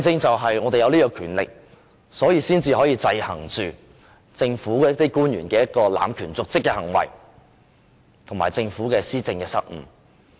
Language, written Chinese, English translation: Cantonese, 正因為我們有這種權力，才可以制衡政府官員濫權瀆職的行為，以及政府施政的失誤。, Since we have this power we can exercise check and balance against any abuse of power and dereliction of duty on the part of public officials and blunders in administration on the part of the Government